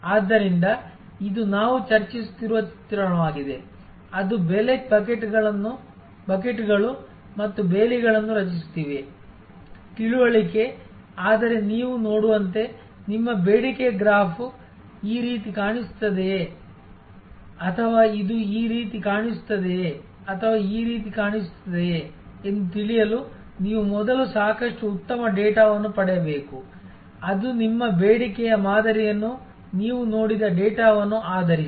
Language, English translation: Kannada, So, this is a depiction of what we have been discussing; that is creating price buckets and fences, understanding, but as you can see you have to create first get a lot of good data to know whether your demand graph looks like this or it looks like this, or it looks like this; that is based on the kind of data that you have seen of your demand pattern